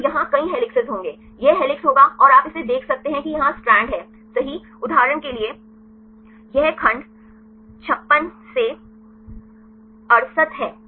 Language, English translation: Hindi, So, there would several helices here this would the helix and you can see this the strand here right this is the segment right for example, is 56 to 68